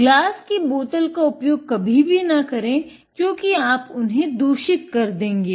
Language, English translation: Hindi, Never use the glass bottles because then you contaminate them